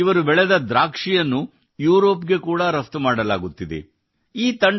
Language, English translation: Kannada, Now grapes grown there are being exported to Europe as well